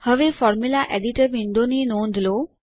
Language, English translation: Gujarati, Now notice the Formula editor window